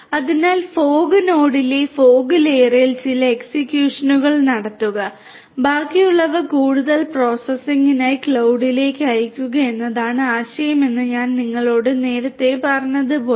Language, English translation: Malayalam, So, as I told you earlier that the idea is to have certain executions done at the fog layer at the fog node and the rest being sent to the cloud for further processing